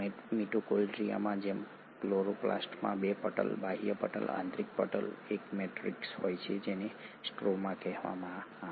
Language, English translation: Gujarati, Chloroplast similar to mitochondria has 2 membranes, an outer membrane, an inner membrane, a matrix which is called as the stroma